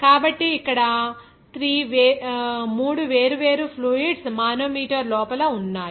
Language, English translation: Telugu, So, here 3 different fluids are there inside the manometer